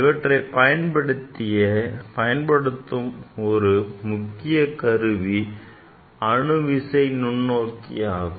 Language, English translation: Tamil, As for example, this instrument is called atomic force microscopy